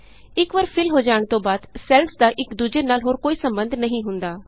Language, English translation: Punjabi, Once they are filled, the cells have no further connection with one another